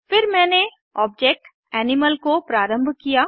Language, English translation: Hindi, I have then initialized the object Animal